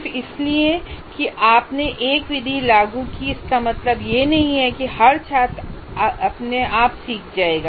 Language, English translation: Hindi, Just because you applied a method, it doesn't mean that every student automatically will learn